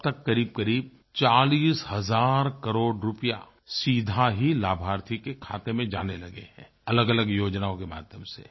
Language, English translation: Hindi, Till now around 40,000 crore rupees are directly reaching the beneficiaries through various schemes